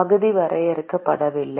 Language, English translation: Tamil, Area is not defined